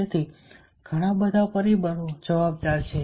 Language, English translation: Gujarati, so so many factors are responsible